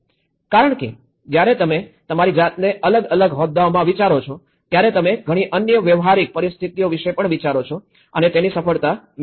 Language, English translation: Gujarati, Because when you imagine yourself in a different shoe obviously, you think of many other practical situations and this was one of the successful which I can see